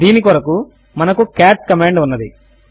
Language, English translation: Telugu, For this we have the cat command